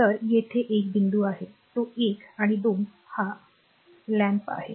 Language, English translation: Marathi, So, here it is point 1 it is 1 and 2 this is a lamp